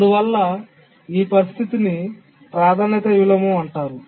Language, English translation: Telugu, So, this is a simple priority inversion